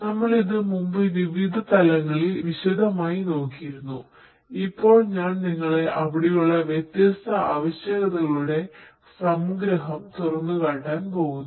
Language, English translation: Malayalam, We have looked at it in different levels of detail earlier, but now I am going to expose you to the summary of the different requirements that are there